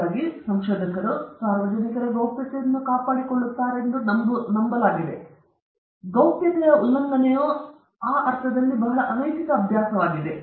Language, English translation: Kannada, So, in hope that or rather they believe that researcher will maintain confidentiality, but breach of confidentiality in that sense is a very severe unethical practice